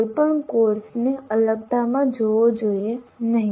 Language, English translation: Gujarati, No course should be seen in isolation